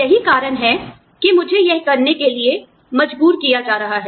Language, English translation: Hindi, Which is why, i am being forced to do it